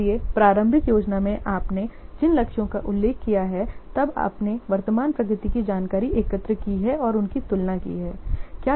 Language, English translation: Hindi, So, in the initial plan, the targets you have mentioned, then you have collected the current progress information, compare them